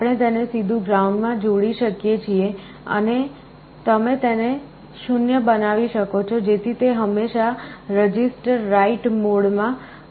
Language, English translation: Gujarati, We can directly connect it to ground you can make it 0 so that, it is always in the register write mode